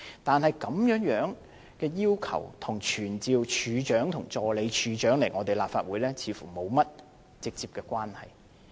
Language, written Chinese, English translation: Cantonese, 但是，這項要求與傳召懲教署署長和助理署長來立法會，似乎沒有直接關係。, However it seems that this request is not directly related to summoning the Commissioner of Correctional Services and the Assistant Commissioner of Correctional Services to attend before the Council